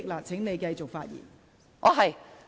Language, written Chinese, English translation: Cantonese, 請你繼續發言。, Please continue with your speech